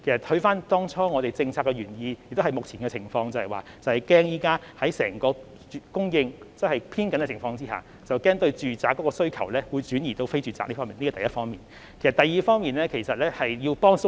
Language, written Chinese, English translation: Cantonese, 回看政策當初的原意，也切合目前的情況，便是在整個供應偏緊的情況下，擔心住宅物業的需求會轉移至非住宅物業市場，這是第一點。, The original objective of the measures is relevant to the present situation . That is when the supply is tight we are concerned that the demand on residential properties may transfer to the non - residential property market . This is the first point